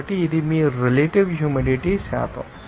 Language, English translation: Telugu, So, this is your percentage of relative humidity